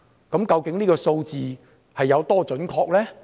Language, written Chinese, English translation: Cantonese, 這個數字究竟有多準確呢？, But how accurate is this number?